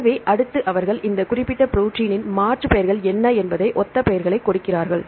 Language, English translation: Tamil, So, next they give names right the synonymous names what are the alternate names for these particular protein right